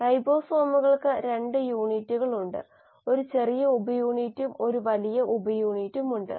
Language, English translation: Malayalam, The ribosomes have 2 units; there is a small subunit and a large subunit